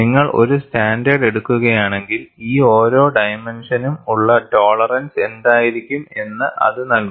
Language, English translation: Malayalam, If you take up a standard, they would also give what should be the tolerance for each of these dimensions